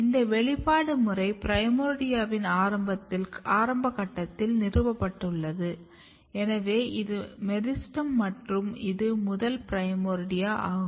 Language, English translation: Tamil, And this expression pattern is established very early even at the primordia stage, so this is your meristem and this is your first primordia here coming